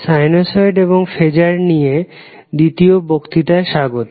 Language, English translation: Bengali, So, wake up to the second lecture on sinusoid and phasers